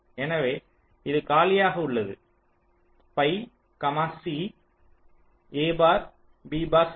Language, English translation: Tamil, so this is only c, a bar b, bar c